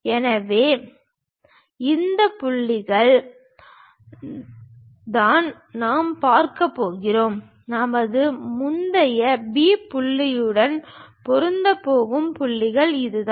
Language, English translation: Tamil, So, these are the points what we are going to see, the points which are going to match with our earlier P point is this